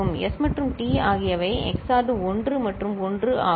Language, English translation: Tamil, S and T are XORed 1 and 1